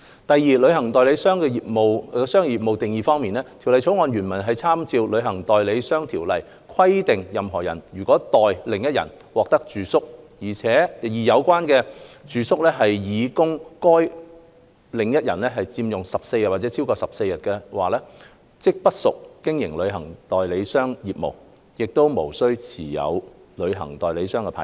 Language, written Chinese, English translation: Cantonese, 第二，旅行代理商業務的定義方面，《條例草案》原文參照《旅行代理商條例》，規定任何人如代另一人獲取住宿，而有關住宿是擬供該另一人佔用14天或超過14天，即不屬經營旅行代理商業務，無須持有旅行代理商牌照。, Secondly as regards the meaning of travel agent business the original text of the Bill has made reference to the Travel Agents Ordinance to provide that a person does not carry on travel agent business and is not required to obtain a travel agent licence if the accommodation that heshe obtains for the other person is intended to be occupied by that other person for 14 or more days